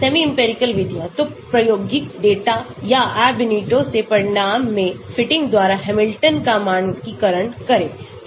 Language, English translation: Hindi, semi empirical method; so parameterize the Hamiltonian by fitting into experimental data or results from Ab initio